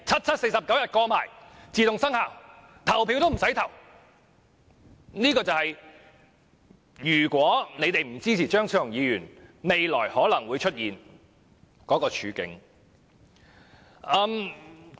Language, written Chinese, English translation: Cantonese, 這便是如果建制派不支持張超雄議員的修正案，未來可能會出現的處境。, That is the future scenario if the pro - establishment camp does not support Dr Fernando CHEUNGs amendments